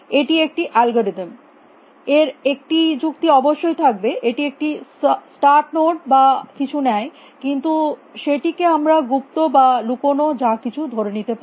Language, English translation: Bengali, This is algorithm it takes an argument of course, it takes a start node and everything,,, but that we will assume is hidden or glover whatever